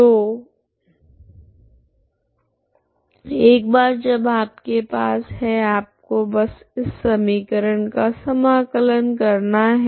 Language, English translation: Hindi, So once you have this you just have to integrate this equation you integrate